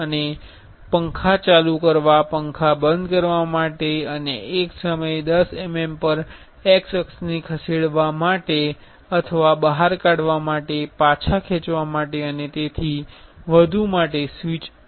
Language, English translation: Gujarati, And there are switches for turning on fan, turning off fan and moving the x axis at 10 mm at a time or to extrude retract and so on